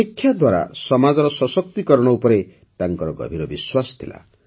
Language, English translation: Odia, She had deep faith in the empowerment of society through education